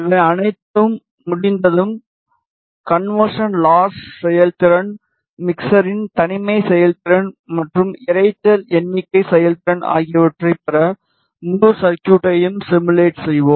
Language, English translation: Tamil, Once all this is done we will simulate the entire circuit to get the conversion loss performance, the isolation performance and noise figure performance of the mixer